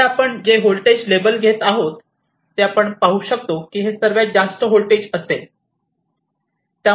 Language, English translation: Marathi, So, we can see whatever the voltage label we are getting here it will be the highest voltage